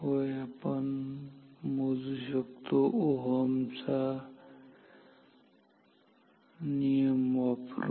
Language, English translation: Marathi, Yes, we can using Ohm’s law